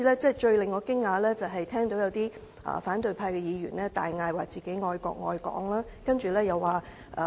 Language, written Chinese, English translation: Cantonese, 最令我驚訝的是聽到有反對派議員大叫自己愛國愛港。, What surprised me most is that opposition Members proclaimed that they love the country and Hong Kong